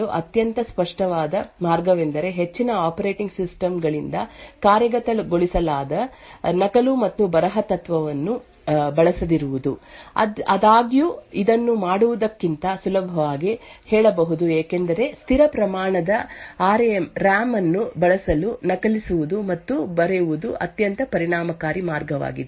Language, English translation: Kannada, The most obvious way to actually prevent such an attack is to not to use copy and write principle which is implemented by most operating systems, however this is easier said than done because copy and write is a very efficient way to utilise the fixed amount of RAM that is present in the system